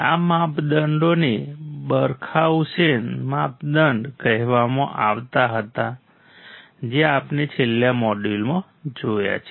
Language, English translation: Gujarati, These criterias were called Barkhausen criteria which we have seen in the last module